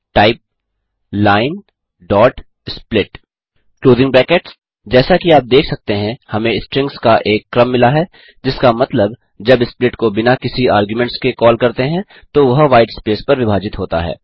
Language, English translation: Hindi, type line.split() As you can see, we get a list of strings, which means, when split is called without any arguments, it splits on whitespace